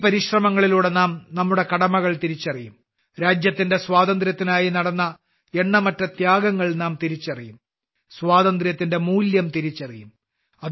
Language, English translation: Malayalam, With these efforts, we will realize our duties… we will realize the innumerable sacrifices made for the freedom of the country; we will realize the value of freedom